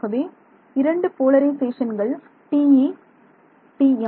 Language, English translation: Tamil, So, let us take the TE polarization ok